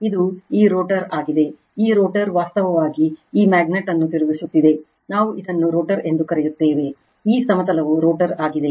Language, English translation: Kannada, This is this rotor this rotor actually rotating this magnet is rotating, we call this a rotor, this plane is rotor right